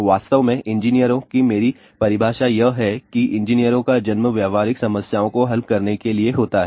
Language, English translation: Hindi, In fact, my definition of engineers is that engineers are born to solve practical problems